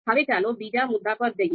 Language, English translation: Gujarati, Now let us move to the second point